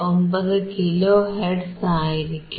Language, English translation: Malayalam, 59 kilo hertz